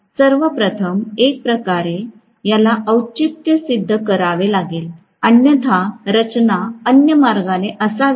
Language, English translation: Marathi, First of all, will have to kind of justify this, otherwise, why should the structure be the other way round